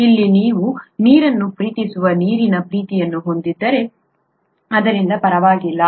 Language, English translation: Kannada, Here you have water loving water loving so that’s okay